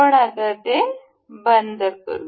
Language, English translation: Marathi, We will close this